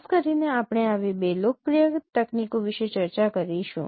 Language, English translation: Gujarati, Typically we will discuss two such popular techniques